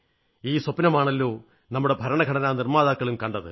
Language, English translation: Malayalam, After all, this was the dream of the makers of our constitution